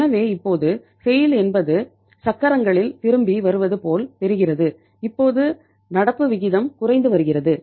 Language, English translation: Tamil, So now the SAIL is it seems to be that it is back on the wheels that we are seeing here from the current ratios that the current ratio is declining